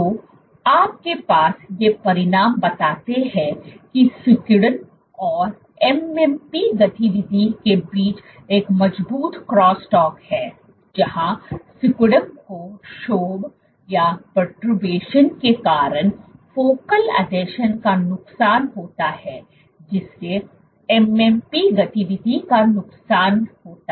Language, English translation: Hindi, So, you have these results suggest that there is a robust cross talk between contractility and MMP activity, where perturbation of contractility leads to loss of focal adhesions thereby leading to loss of MMP activity